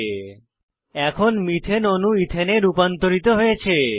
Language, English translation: Bengali, Methane molecule is now converted to Ethane